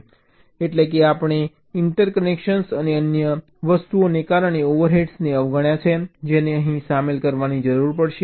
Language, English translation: Gujarati, but of course we have ignored the overheads due to interconnections and other things that will also need to be incorporated here